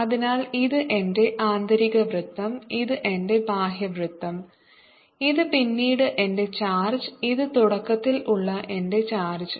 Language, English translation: Malayalam, so here is my inner circle, here is my outer circle, here is my charge later, here is my charge initially